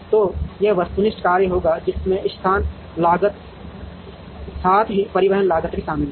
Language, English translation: Hindi, So, this will be the objective function that has the location cost, as well as the transportation cost